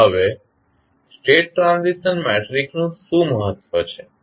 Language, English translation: Gujarati, What is a State Transition Matrix